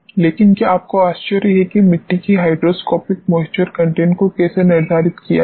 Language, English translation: Hindi, But, did you wonder that how to determine hydroscopic moisture content of the soils